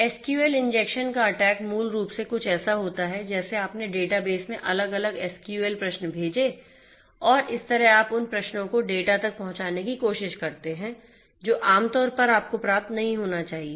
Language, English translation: Hindi, SQL injection attack basically is something like you know you sent different SQL queries to the database and they are there by you try to get in through those queries to the data that normally should not be made you know accessible to you